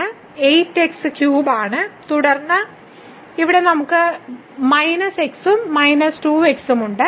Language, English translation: Malayalam, So, 8 is cube and then here we have minus x and minus 2